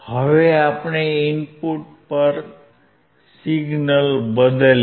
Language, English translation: Gujarati, Now let us change the signal at the input